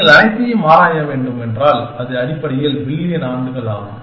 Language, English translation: Tamil, And if you have to explore all of them, it would be billions of years essentially